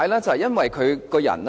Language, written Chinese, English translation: Cantonese, 就是因為他的為人。, It is because of his character